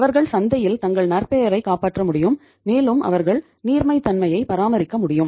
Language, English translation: Tamil, They could save their reputation in the market and they could maintain the liquidity also